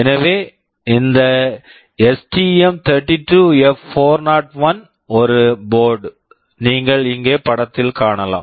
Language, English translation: Tamil, So, this STM32F401 is a board you can see the picture here